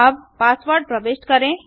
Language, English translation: Hindi, Enter your email id and password